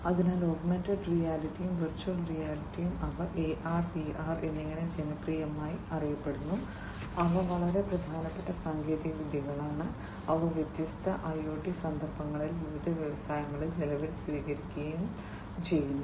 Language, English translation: Malayalam, So, augmented reality and virtual reality, AR and VR, they are popularly known as AR and VR, are quite you know important technologies, that have been adopted and are being adopted at present in different IIoT context in the different industries